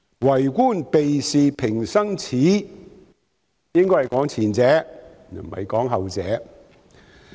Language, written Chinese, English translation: Cantonese, "為官避事平生耻"應該是指前者，而不是指後者。, The saying that It is a shame for an official to avoid responsibilities should apply to the former not the latter